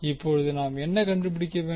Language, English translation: Tamil, Now what we need to find out